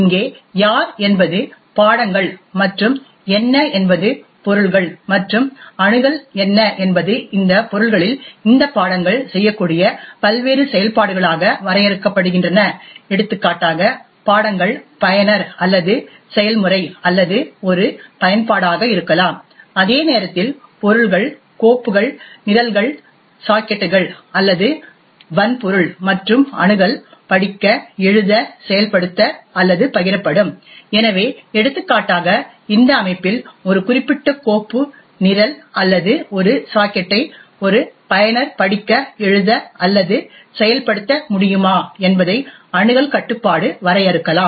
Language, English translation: Tamil, The who over here are the subjects and what are the objects and access is defined as various operations these subjects can perform on these objects, for example subjects can be user or process or an application, while objects can be files, programs, sockets or hardware and access would be read, write, execute or share, so for example access control can define if a user can read, write or execute a particular file, program or a socket in this system